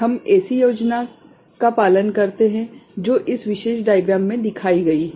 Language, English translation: Hindi, We follow a scheme which is illustrated in this particular diagram